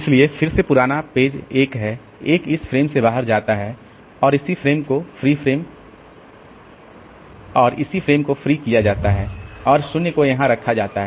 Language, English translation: Hindi, So again the oldest page that is 1 so that goes out of this frame and the corresponding frame is freed and 0 is put here